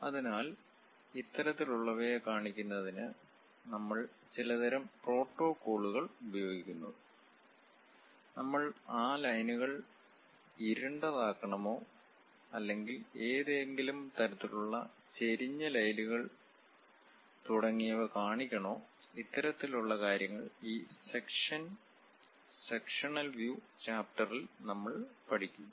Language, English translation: Malayalam, So, to represent this kind of things, we use certain kind of protocols; whether we should really darken those lines or show some kind of inclined lines, hatching and so on; this kind of representation what we will learn for this sections and sectional views chapter